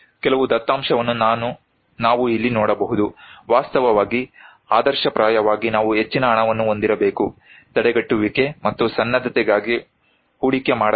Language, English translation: Kannada, Here are some data we can see that, actually, ideally we should have more money should be invested on prevention and preparedness